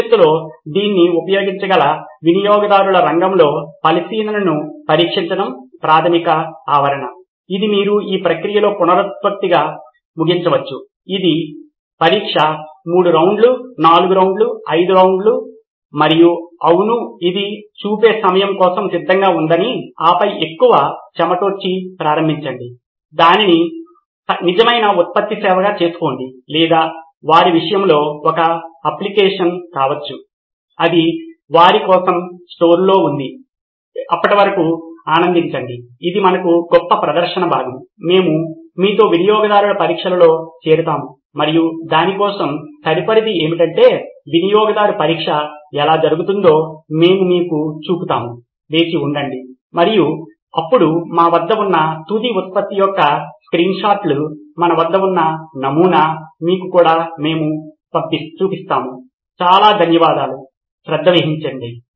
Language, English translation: Telugu, The basic premise is to test out the idea on the field with users who potentially may use this in the future, this is you can end this process is iterative, it goes on I do not know test three rounds, four rounds, five rounds and till your satisfied that yes it is ready for prime time and then start giving it more flesh and blood, make it a real product service or in their case may be an app, that is what is lying in store for them, well till then enjoy, this was a great demo session for us, we will join you with the user tests so that is what is up next for that, so keep tuned and we will show you how the user test go and now we will also be showing you the screenshots of the final product that we have, prototype that we have, thank you so much take care